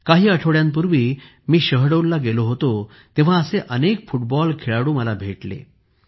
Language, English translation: Marathi, When I had gone to Shahdol a few weeks ago, I met many such football players there